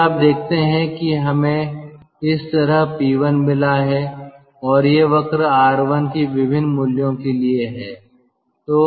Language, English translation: Hindi, then you see we have got p one plotted like this, and these curves or are for different values of r one